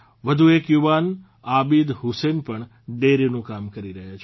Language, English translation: Gujarati, Another youth Abid Hussain is also doing dairy farming